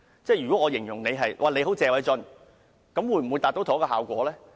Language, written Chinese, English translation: Cantonese, 舉例而言，如形容你"很謝偉俊"，會否達致同一效果呢？, For example will the same effect be achieved if I describe you as very Paul - TSE?